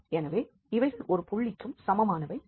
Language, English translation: Tamil, So, these two should be equal